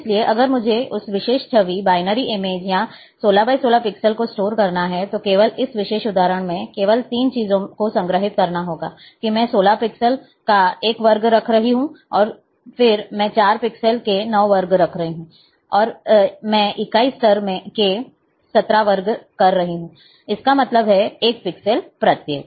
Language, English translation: Hindi, So, if I have to store, that particular image, the binary image, or 16 by 16 pixels, then only, in this particular example, only 3 things have to be stored, that I am having one square of 16 pixels, and then, I am having 9 squares of 4 pixels, and I am having 17 squares of unit level; that means, 1 pixel each